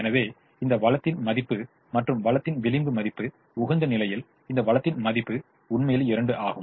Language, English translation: Tamil, therefore, the worth of this resource, the marginal value of this resource, the worth of this resource at the optimum is indeed two